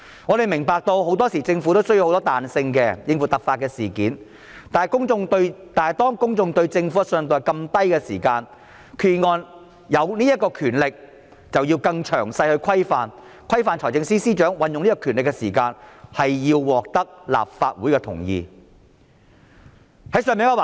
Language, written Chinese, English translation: Cantonese, 我們明白，政府很多時候需要彈性，應付突發事件，但當公眾對政府的信任度較低時，決議案賦予司長這項權力，便須有詳細的規範，規範財政司司長運用這項權力時，須獲得立法會同意。, We understand that very often the Government needs flexibility to deal with contingencies but given a low level of public trust in the Government the vesting of such power in the Financial Secretary under the Resolution must be subject to specific restrictions such that the Financial Secretary will be required to seek the endorsement of the Legislative Council for exercising such power